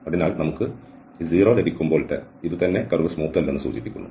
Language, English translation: Malayalam, So, this it self when we are getting this 0 this indicates that the curve is non smooth